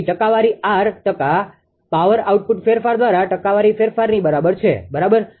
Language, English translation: Gujarati, So, percentage R is equal to percent frequency change by percent power output change into 100, right